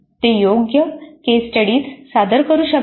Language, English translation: Marathi, They can present suitable case studies